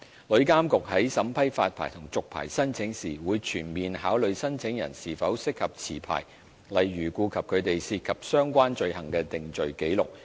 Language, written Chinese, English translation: Cantonese, 旅監局在審批發牌和續牌申請時，會全面考慮申請人是否適合持牌，例如顧及他們涉及相關罪行的定罪紀錄。, When vetting and approving applications for licences and renewal of licences TIA will comprehensively consider whether the applicants are suitable to hold licences such as by having regard to their conviction records of relevant offences if any